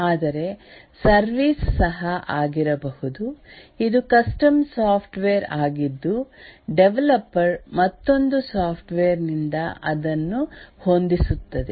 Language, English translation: Kannada, But then the service can also be that it's a custom software which the developer tailors from another software